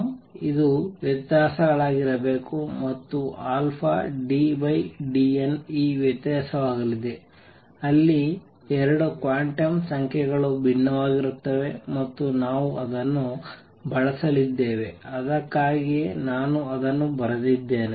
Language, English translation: Kannada, Quantum it has to be differences and alpha d by d n is going to be this difference where the 2 quantum numbers differ by alpha and we are going to make use of it that is why I wrote it